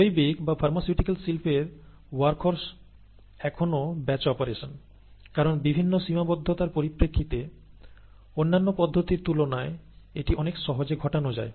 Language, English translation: Bengali, The workhorse of a biological or a pharmaceutical industry is still a batch operation, because it is rather easy compared to the other processes to carry out, given the various constraints